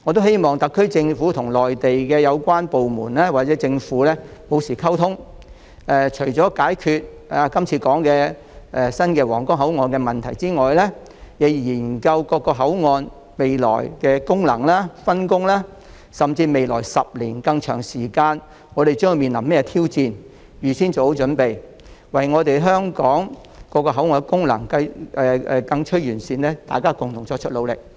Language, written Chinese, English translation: Cantonese, 希望特區政府與內地有關部門或政府保持溝通，除解決剛才提到的皇崗口岸的問題外，亦須研究各口岸未來的功能及分工，甚至探討我們將於未來10年以至更長時間面對甚麼挑戰，預先作好準備，一同為香港各口岸的功能更趨完善作出努力。, I hope the SAR Government will maintain communication with the relevant authorities or governments in the Mainland . Apart from solving the problems at the Huanggang port as mentioned just now it should examine the future functions of various boundary control points and their division of work or even the potential challenges we may face in the coming 10 years and beyond so as to prepare in advance and work together to enhance the functions of different boundary control points in Hong Kong